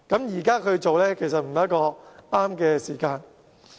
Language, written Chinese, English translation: Cantonese, 如果現時做，其實並非適當的時候。, It may not be the right time for us to conduct the inquiry now